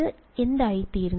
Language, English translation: Malayalam, And this becomes what